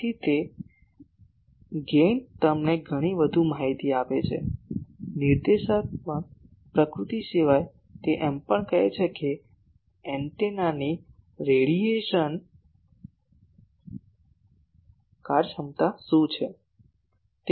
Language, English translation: Gujarati, So, that is why the gain gives you much more ah information , apart from the directive nature it also says that what is the radiation efficiency of the antenna